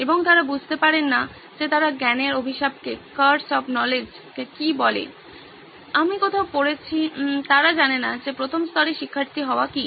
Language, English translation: Bengali, And they do not understand the what they call the curse of knowledge, I have read somewhere, is that they do not know what it is to be a learner at the first level